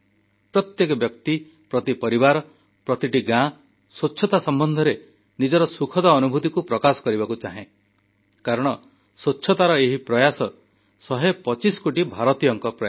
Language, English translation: Odia, Every person, every family, every village wants to narrate their pleasant experiences in relation to the cleanliness mission, because behind this effort of cleanliness is the effort of 125 crore Indians